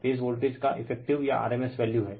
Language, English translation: Hindi, V p is effective or rms value of the phase voltage